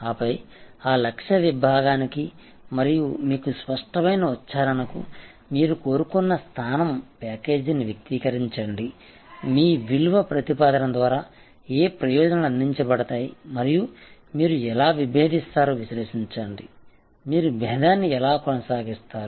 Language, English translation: Telugu, And then, articulate your desired position package of values for that target segment and very clear articulation, that what benefits will be offer through your value proposition and analyse how you will differentiate, how will you maintain the differentiation